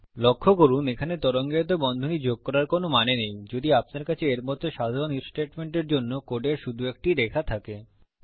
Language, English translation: Bengali, Please note there is no point in adding curly brackets if you have only one line of code for simple IF statements like these